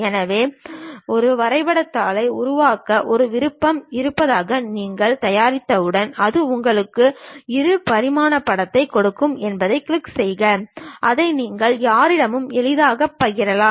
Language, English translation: Tamil, So, once you prepare that there is option to make drawing sheet, you click that it gives you two dimensional picture which you can easily share it with anyone